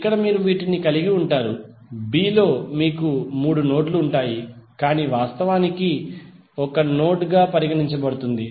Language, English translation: Telugu, So here you will have, in b you will have three nodes but actually it is considered as one node